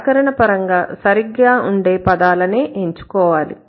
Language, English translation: Telugu, Focus on the words grammatically correct